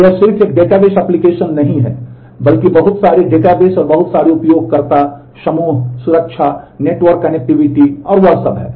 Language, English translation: Hindi, So, it is just not one database application, but a whole lot of databases and whole lot of user groups, security, network connectivity and all that